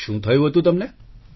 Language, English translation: Gujarati, What had happened to you